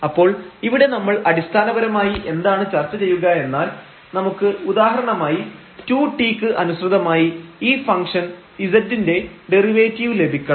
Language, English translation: Malayalam, So, here what basically we will be discussing here, if we want to get for example, the derivative of this z function with respect to 2 t